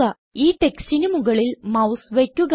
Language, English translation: Malayalam, Hover the mouse over this text